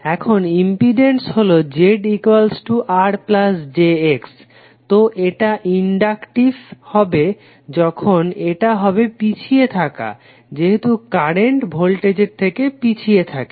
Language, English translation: Bengali, Now impedance is Z is equal to R plus j X, so it would be inductive when it is lagging since the current lags the voltage